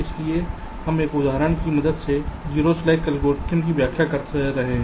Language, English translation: Hindi, this is the basic objective of the zero slack algorithm